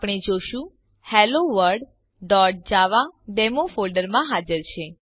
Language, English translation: Gujarati, We see HelloWorld.java file present in the Demo folder